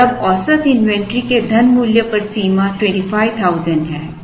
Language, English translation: Hindi, And now the, which is the limit on the money value of the average inventory is 25,000